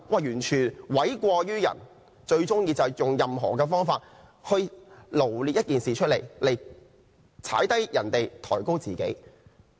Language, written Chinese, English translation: Cantonese, "完全諉過於人，最喜歡用不同角度解釋事情來詆毀別人，抬高自己。, Putting the blame entirely on someone else he is most fond of making interpretations from various angles to sling mud at others and elevate his own position